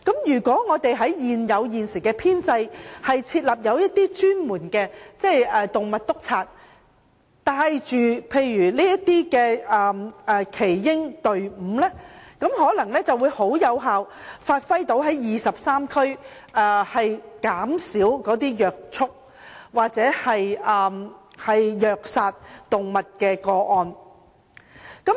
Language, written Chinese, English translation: Cantonese, 如果在現有編制下設立專門的"動物督察"，帶領耆英隊伍等，便能有效減少23區虐畜或虐殺動物的個案。, If the post of animal inspector is set up under the existing establishment to lead the elderly team cases of animal cruelty or animal killing will be effectively reduced in these 23 police districts